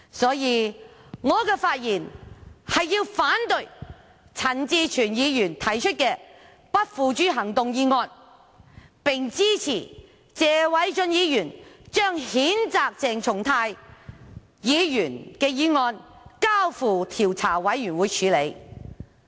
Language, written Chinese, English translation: Cantonese, 所以，我發言是要反對陳志全議員提出的不付諸行動議案，並支持謝偉俊議員將譴責鄭松泰議員的議案交付調查委員會處理。, Therefore I have spoken to oppose Mr CHAN Chi - chuens motion that no further action shall be taken but I support the censure motion moved by Mr Paul TSE against Dr CHENG Chung - tai and that the matter be referred to an investigation committee